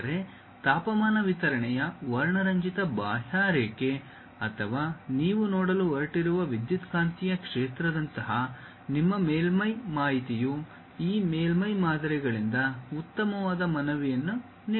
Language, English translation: Kannada, But, your surface information like a colorful contour of temperature distribution or electromagnetic field what you are going to see, that gives a nice appeal by this surface models